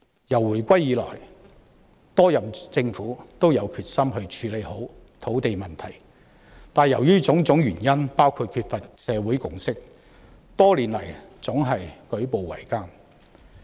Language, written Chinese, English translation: Cantonese, 自回歸以來，多任政府均有決心處理好土地問題，但由於種種原因，包括缺乏社會共識，多年來總是舉步維艱。, Since the reunification many terms of government have all had the determination to properly tackle the land problem . Yet due to various reasons including a lack of consensus in society their efforts have met with difficulties over the years